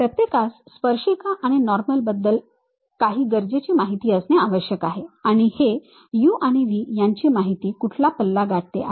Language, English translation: Marathi, Some of the essential information what one should really know is about tangent and normals, and what is the range these u and v information one will be having